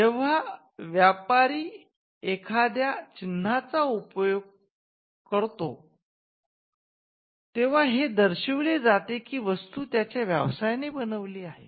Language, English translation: Marathi, Now, a trader when he uses a mark, the trader signifies that the goods are from his enterprise